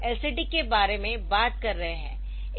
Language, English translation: Hindi, So, we talking about LCD